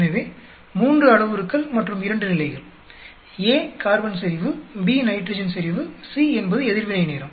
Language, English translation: Tamil, So, 3 parameters and 2 levels, A could be carbon concentration, B could be nitrogen concentration, C is the reaction time